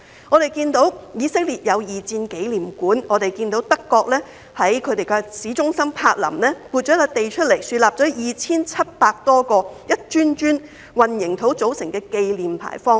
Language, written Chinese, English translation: Cantonese, 我們看到以色列設有二戰紀念館，也看到德國在柏林市中心撥出土地，豎立 2,700 多個一磚磚混凝土組成的紀念牌坊。, We saw that Israel has a World War II memorial hall and Germany has set aside land in the centre of Berlin to erect more than 2 700 concrete memorial arches